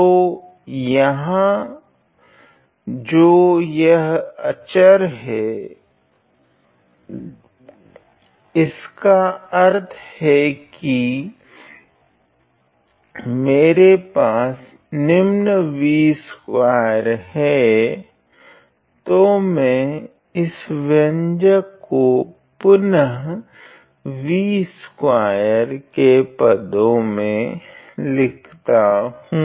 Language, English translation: Hindi, So, which means that I have the following I have v square so, let me rewrite this expression in terms of v square